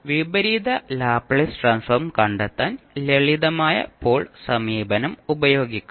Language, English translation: Malayalam, Then you can use the simple pole approach to find out the Inverse Laplace Transform